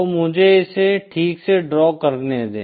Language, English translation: Hindi, So let me draw this properly